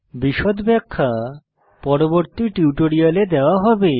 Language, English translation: Bengali, Detailed explanation will be given in subsequent tutorial